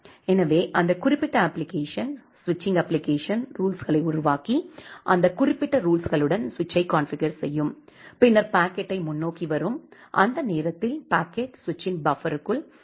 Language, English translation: Tamil, So, that particular application the switching application, it will generate the rules and configure the switch with that particular rule and then the packet will get forwarded and during that in between time, the packet will remain inside the buffer of the switch